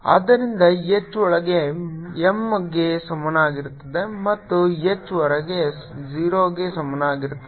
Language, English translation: Kannada, so h inside will be equal to minus m and h outside will be equal to zero